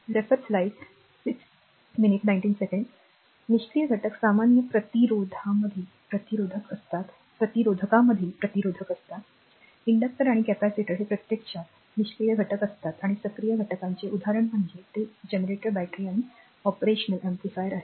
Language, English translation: Marathi, For example that passive elements are resistors in general resistors, inductors and capacitors these are actually passive elements right and example of active elements are it is generators, batteries and operational amplifiers